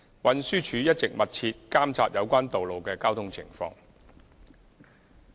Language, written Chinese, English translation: Cantonese, 運輸署一直密切監察有關道路的交通情況。, The Transport Department TD has been closely monitoring the traffic situation of these roads